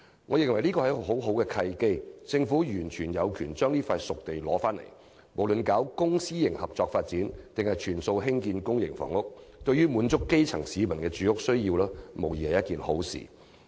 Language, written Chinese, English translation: Cantonese, 我認為這是一個很好的契機，政府完全有權取回這片熟地，無論是作公私營合作發展或全數用作興建公營房屋，對滿足基層市民住屋需要均無疑是一件好事。, I consider this a very good opportunity for the Government to exercise its right to resume this spade - ready site for housing development and no matter the site is used for public - private partnership development or totally for public housing development this is undoubtedly helpful to meeting the housing demand of grass - roots people